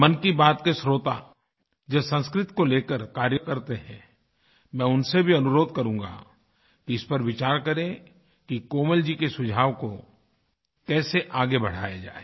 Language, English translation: Hindi, I shall also request listeners of Mann Ki Baat who are engaged in the field of Sanskrit, to ponder over ways & means to take Komalji's suggestion forward